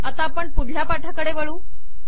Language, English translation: Marathi, So lets go to the next page